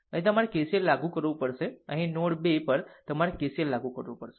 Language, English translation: Gujarati, So, here you have to apply KCL, and here at node 2 you have to apply KCL